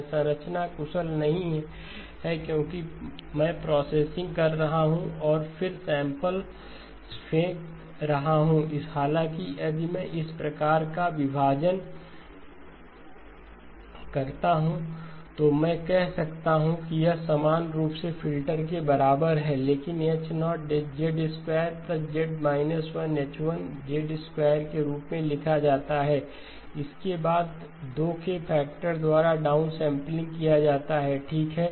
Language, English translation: Hindi, This structure is not efficient because I am doing the processing and then throwing away samples; however, if I do this sort of splitting then I can say that this is identically equal to the same filter, but now written as H0 of Z squared plus Z inverse H1 of Z squared, followed by a down sampling by a factor of 2 okay